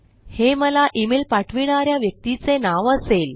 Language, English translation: Marathi, This will be the name of the person sending me the email